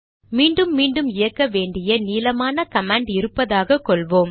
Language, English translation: Tamil, It may happen that you have a large command that needs to be run again and again